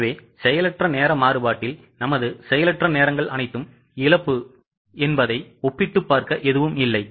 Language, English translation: Tamil, So, idle time variance there is nothing to compare whatever our idle hours are all lost